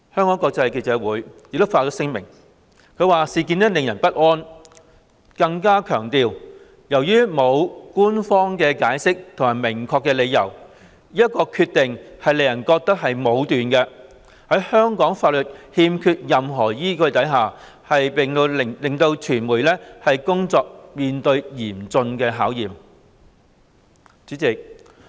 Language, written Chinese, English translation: Cantonese, 外國記者會亦發聲明，指事件令人不安，更強調"由於沒有官方解釋或明確理由，這一決定令人覺得是武斷的，在香港法律缺乏任何依據，並令媒體工作面對嚴峻考驗。, The Foreign Correspondents Club Hong Kong FCC also issued a statement saying that the incident was disturbing and stressed that [t]he absence of an official reason or a clear explanation makes the decision appear arbitrary and lacking any basis in Hong Kong law and creates an impossible working environment for the media